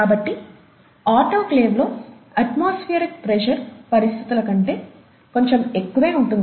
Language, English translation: Telugu, So you have slightly higher than atmospheric pressure conditions in the autoclave